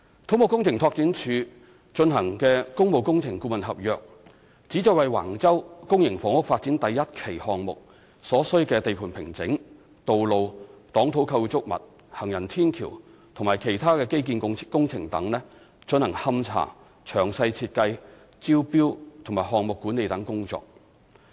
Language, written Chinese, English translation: Cantonese, 土木工程拓展署的工務工程顧問合約旨在為橫洲公營房屋發展第1期項目所需的地盤平整、道路、擋土構築物、行人天橋和其他基建工程等進行勘查、詳細設計、招標及項目管理等工作。, The objective of the public works consultancy agreement of CEDD is to carry out site investigation detailed design tendering project administration etc for the site formation roadworks retaining structures footbridge and other infrastructural works associated with Phase 1 of the Wang Chau public housing development